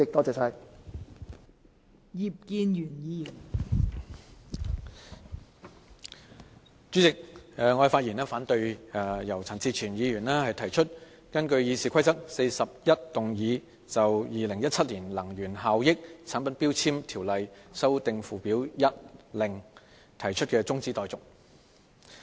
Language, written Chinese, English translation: Cantonese, 代理主席，我發言反對由陳志全議員提出根據《議事規則》第401動議就《2017年能源效益條例令》提出的中止待續議案。, Deputy President I speak in opposition to the motion moved by Mr CHAN Chi - chuen under RoP 401 to adjourn the debate on the Energy Efficiency Ordinance Order 2017